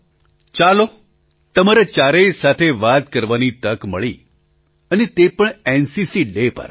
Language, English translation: Gujarati, All right I got a chance to have a word with all four of you, and that too on NCC Day